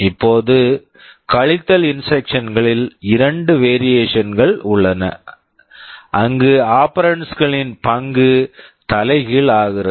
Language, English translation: Tamil, Now, there are two variation of the subtract instructions, where the role of the operands are reversed